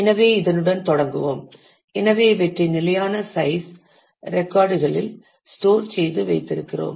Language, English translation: Tamil, So, we will start with that; so this is what we have we store these are fixed size records